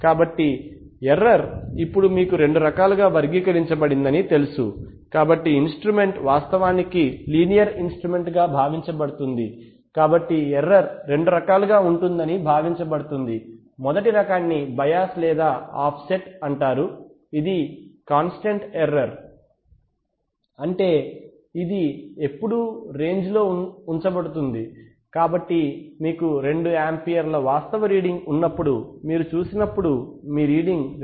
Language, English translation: Telugu, So this is the error now the error is typically you know characterized as in, into two different kinds so since the instrument is actually assumed to be a linear instrument, so it is assumed that the error can be of two types the first type is called bias or offset which is a constant error, which is, which is going to stay throughout the range, so maybe at half at when you have a reading of when you have an actual current of 2 amperes your reading shows 2